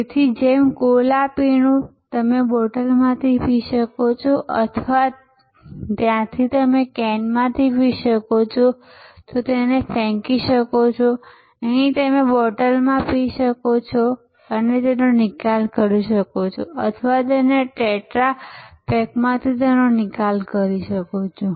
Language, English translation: Gujarati, So, just like a cola drink you can drink from the bottle or from the just like there you can drink from the can and throw it away, here you can drink from the bottle and dispose it off or from the tetra pack and dispose it off